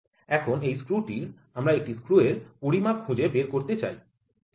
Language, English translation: Bengali, So, this screw we wanted to find out the dimension of a screw, ok